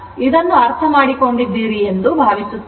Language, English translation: Kannada, So, hope this is understandable to you